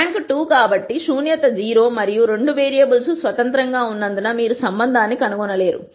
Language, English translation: Telugu, Since the rank is 2, nullity is 0 and because both the variables are independent you cannot nd a relationship